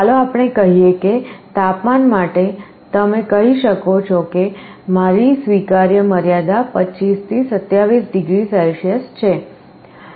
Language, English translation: Gujarati, Like let us say, for temperature you may say that my acceptable limit is 25 to 27 degree Celsius